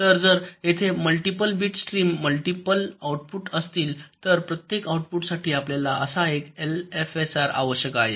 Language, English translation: Marathi, so if there are multiple bit stream, multiple outputs, you need one such l f s r for every output